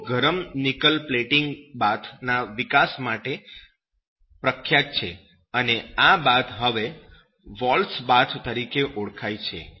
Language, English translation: Gujarati, And he is famously known for his development of the hot nickel plating bath and this is known as that “walls bath